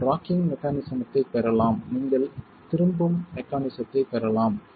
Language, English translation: Tamil, You can get rocking mechanism, you can get overturning mechanism